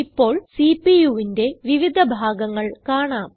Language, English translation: Malayalam, Now, let us see the various parts of the CPU